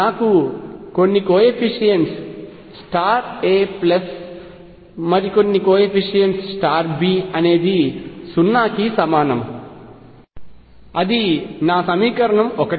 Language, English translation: Telugu, I have some coefficients times a plus some other coefficient times B is equal to 0; that is my equation 1